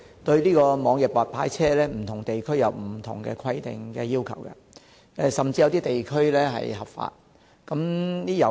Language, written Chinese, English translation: Cantonese, 對於網約白牌車，不同地區均有不同的規定，有些地區甚至是合法的。, The regulation of e - hailing of white licence cars varies with different places and it is even legitimate in some places